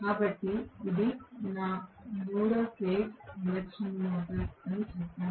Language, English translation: Telugu, So, let us say this is my 3 phase induction motor